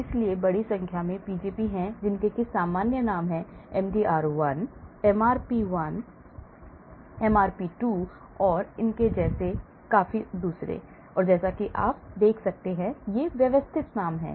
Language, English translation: Hindi, So, there are large number of Pgp’s, these are the common names; MDR1, MRP1, MRP2 and so on here as you can see, these are the systematic names